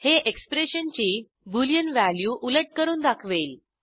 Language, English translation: Marathi, * It inverts the boolean value of an expression